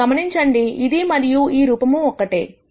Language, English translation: Telugu, You notice that, this and this form are the same